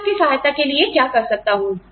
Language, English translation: Hindi, What can I do, to help